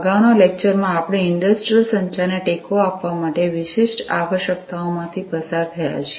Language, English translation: Gujarati, In the previous lecture, we have gone through the specific requirements for supporting industrial communication